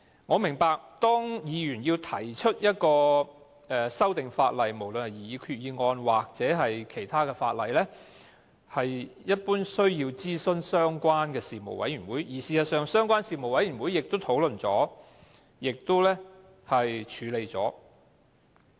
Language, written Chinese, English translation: Cantonese, 我明白，議員提出的修訂，無論是以決議案或法案形式提出，一般都需要諮詢相關的事務委員會，而事實上，相關事務委員會亦已經討論及處理。, I know that Members wishing to move an amendment whether in the form of a resolution or a bill must first consult the relevant panel . Actually the relevant panel has already discussed and handled the issue